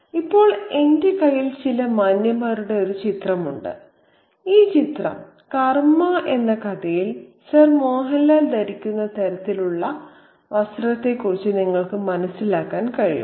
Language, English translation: Malayalam, Now, now I have a picture here of some gentlemen and that picture can give you a sense of the kind of clothing that Sir Mohanla might be sporting in this historic karma